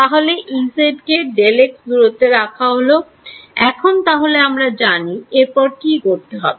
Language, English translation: Bengali, So, E z is spaced apart by delta x now already know that what is the next thing